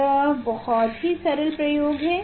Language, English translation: Hindi, This is very simple experiment